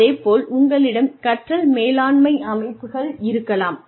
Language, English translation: Tamil, You could have learning management systems